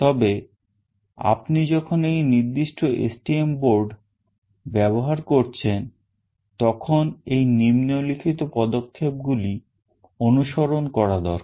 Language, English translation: Bengali, But these are the following steps that need to be followed when you are using this particular STM board